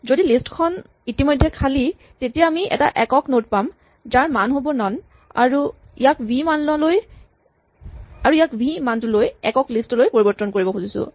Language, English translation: Assamese, If the list is already empty, then we have a single node which has value none and we want to make it a singleton node, a singleton list with value v